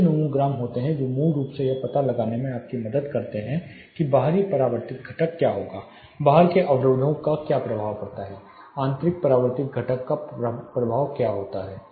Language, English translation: Hindi, There are nomograms nicely which seamlessly helps you to find out what would be the external reflected component, what is the effect of obstructions outside, what is the effect of internal reflected component